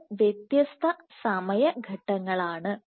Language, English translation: Malayalam, So, this is different time snaps